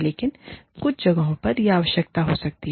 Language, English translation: Hindi, But, in some places, it might be necessary